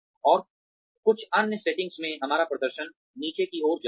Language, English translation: Hindi, And, in certain other setting, our performance tends to go down